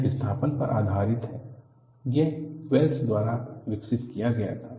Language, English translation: Hindi, This is displacement based; this was developed by Wells